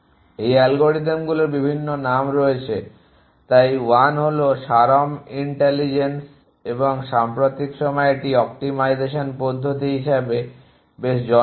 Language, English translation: Bengali, And there are various names by which these algorithms go so 1 is all swarm intelligence and it is in quite popular as optimization method in the recent pass